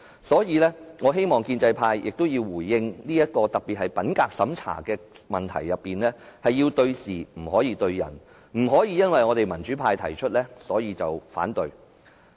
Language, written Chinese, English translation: Cantonese, 所以，我希望建制派作出回應，他們是否認為品格審查制度有問題，這是對事並非對人，不可因為議案是民主派提出而橫加反對。, Therefore I hope pro - establishment Members will tell us whether they agree that there are problems with the integrity checking system . We focus on finding facts but not finding faults with individuals . They cannot oppose this motion just because it is moved by the pro - democracy camp